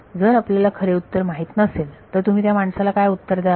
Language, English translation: Marathi, If you do not know the true solution how will you answer that person